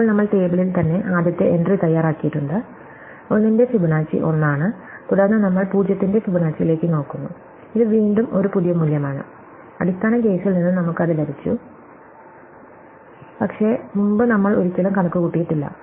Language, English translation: Malayalam, So, now, we are made up first entry in the table itself, Fibonacci of 1 is 1, then we look at Fibonacci of 0 and again, it is a new value, we got it from the base case, but we have never computed before